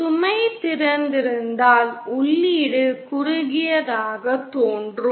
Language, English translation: Tamil, If the load is open, the input will appear to be shorted